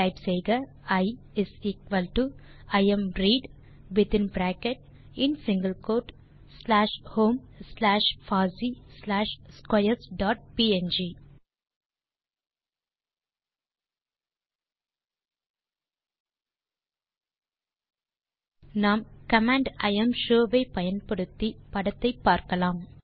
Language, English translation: Tamil, Type I=imread within bracket in single quote slash home slash fossee slash squares dot png We can see the contents of the image, using the command imshow